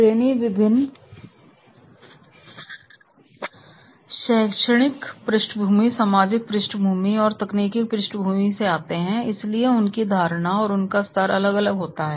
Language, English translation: Hindi, Now trainees are coming from the different the academic background and the social background and the technological background and therefore their perception and their level that has to be vary